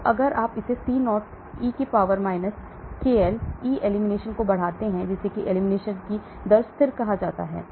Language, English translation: Hindi, So we can if you extend it C0 e power t Kel, K elimination that is called the rate constant of the elimination